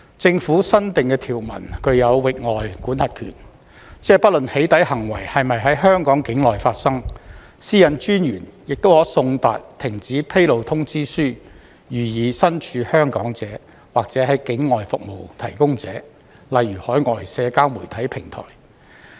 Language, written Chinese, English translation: Cantonese, 政府新訂的條文具有域外管轄權，即不論"起底"行為是否在香港境內發生，私隱專員亦可送達停止披露通知書予身處香港者，或境外服務提供者，例如海外社交媒體平台。, Under the new provisions added by the Government the authorities are given extraterritorial jurisdiction meaning that the Commissioner can serve a cessation notice to a person in Hong Kong or to a service provider outside Hong Kong such as an overseas social media platform regardless of whether the doxxing activity occurred in Hong Kong